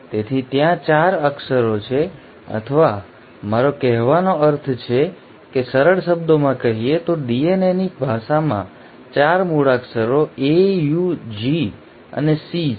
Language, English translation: Gujarati, So there are 4 letters or I mean in simpler words the language of DNA has 4 alphabets, A, U, G and C